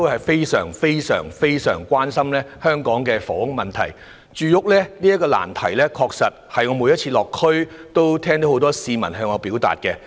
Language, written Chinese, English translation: Cantonese, 他們都非常關心香港的房屋問題，而我每次落區也聽到很多市民向我表達住屋的困難。, People are very concerned about the housing problem in Hong Kong and many of them told me about their housing difficulties during my visits to the districts